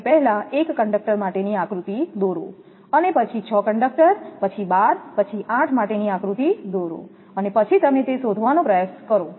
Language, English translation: Gujarati, You will draw the diagram first one conductor then 6 conductor then 12 then 8 and then you try to find out this is an exercise for you